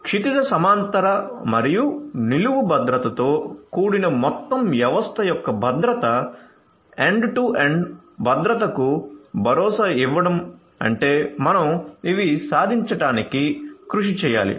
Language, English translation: Telugu, So, security of the whole system comprising of horizontal as well as vertical security ensuring end to end security is what we have to strive to achieve